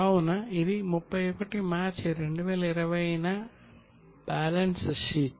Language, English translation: Telugu, So, balance sheet on 31 March 2020